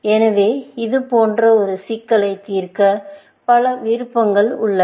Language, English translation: Tamil, So, to solve a problem like this, there are many options